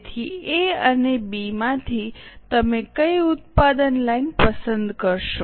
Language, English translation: Gujarati, So out of A and B, which product line will you choose